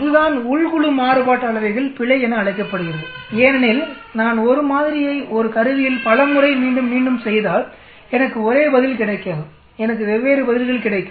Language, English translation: Tamil, This is called within group variances error because if I am repeating a sample many times on an instrument I will not get same answer I will get different answers